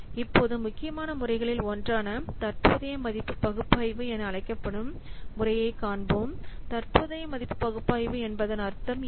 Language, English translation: Tamil, Now we will see one of the important method that is known as present value analysis